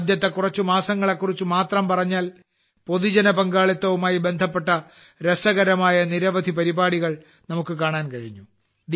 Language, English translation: Malayalam, If we talk about just the first few months, we got to see many interesting programs related to public participation